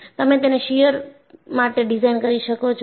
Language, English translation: Gujarati, So, you design it for shear